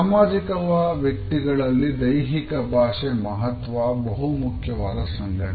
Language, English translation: Kannada, In public figures the role of the body language becomes very important